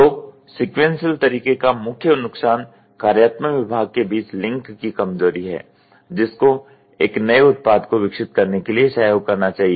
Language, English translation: Hindi, So, the main disadvantages of the sequential method is the weakness of the link between the functional department that should cooperate to develop a new product